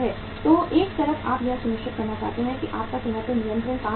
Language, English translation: Hindi, So on the one side you want to ensure that your plant is continuous working